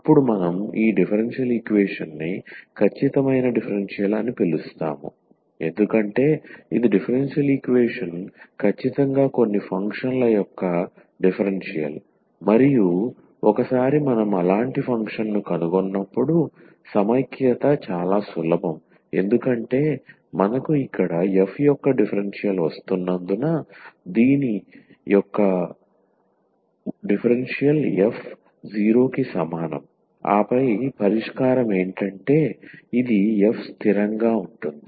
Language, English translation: Telugu, Then we call this differential equation as the exact differential, because this that the differential equation is exactly the differential of some function, and once we find such a function the integration is very easy because we have differential of f here the differential of this f is equal to 0 and then the solution will be this the f is equal to constant